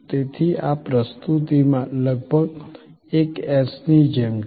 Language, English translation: Gujarati, So, almost like an S in this presentation